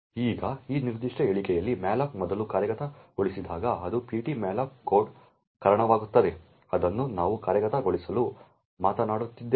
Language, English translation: Kannada, Now when malloc first gets executed in this particular statement over here it results in ptmalloc code that we have been talking about to get executed